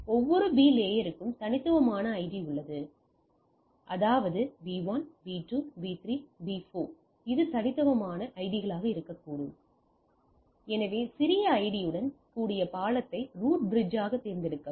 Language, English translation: Tamil, Let me say every B layer to see has a unique ID; that means, B1, B2, B3, B4 let it be the unique IDs, so the select the bridge with the smallest ID as the root bridge